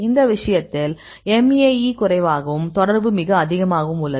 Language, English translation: Tamil, So, in this case the MAE also less and the correlation also very high